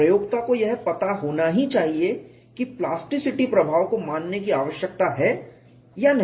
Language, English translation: Hindi, The user must know whether or not plasticity effects need to be considered